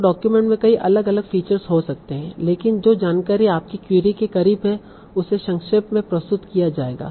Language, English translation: Hindi, So the document might contain about, contain many different information but the information that is close to your query that will be summarized